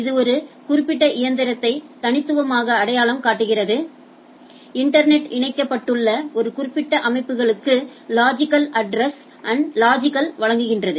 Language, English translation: Tamil, And it uniquely identifies a particular machine, logically provide a logical address to a particular systems which is connected in the internet